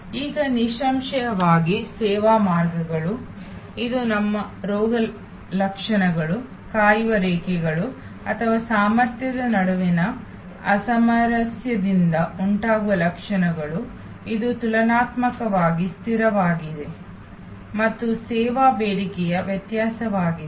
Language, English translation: Kannada, Now; obviously, service lines areů It is our symptoms, waiting lines or symptoms arising from the mismatch between the capacity, which is relatively fixed and variability of service demand